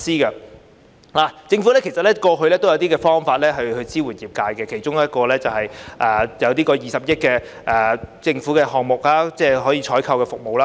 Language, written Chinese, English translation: Cantonese, 其實政府過去也有推出一些方法支援業界，其中一項是20億元的政府項目，即採購有關的服務。, In fact the Government has introduced some measures to support the sector one of which is a 2 billion government programme on the procurement of relevant services